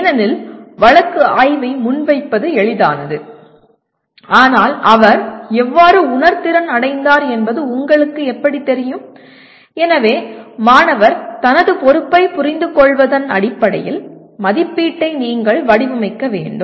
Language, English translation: Tamil, Because it is easy to present the case study but how do you know that he has been sensitized, so you have to design assessment that could be in terms of student’s perception of his responsibility